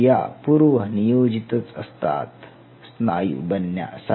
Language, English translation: Marathi, These are predestined to become skeletal muscle